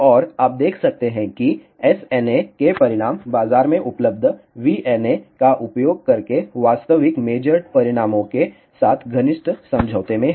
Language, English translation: Hindi, And, you can see that the results of SNA are in close agreement with the actual major results using a market available VNA